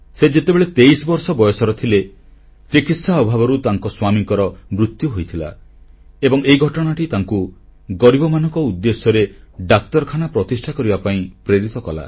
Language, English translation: Odia, At the age of 23 she lost her husband due to lack of proper treatment, and this incident inspired her to build a hospital for the poor